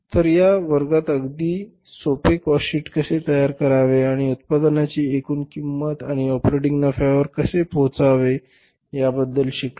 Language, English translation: Marathi, So, in this class we have learned about how to prepare a very simple cost sheet and how to arrive at the total cost of production and the operating profit